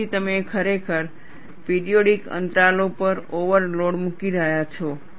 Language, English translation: Gujarati, So, you are really putting an overload, at periodic intervals